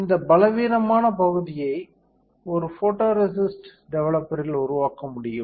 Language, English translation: Tamil, This weaker area can be developed in a photoresist developer